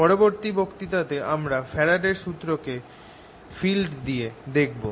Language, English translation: Bengali, in the next lecture we will be turning this whole faradays law into in terms of fields